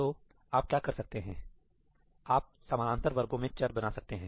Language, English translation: Hindi, So, what you can do is, you can make variables persistent across parallel sections